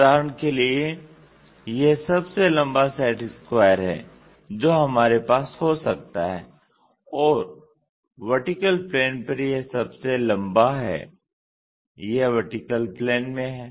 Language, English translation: Hindi, For example, this is the one longestset square what we can have and this longest one on vertical plane it is in vertical plane